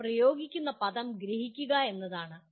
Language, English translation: Malayalam, The word they use is comprehend